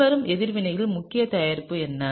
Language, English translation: Tamil, What is the major product of the following reaction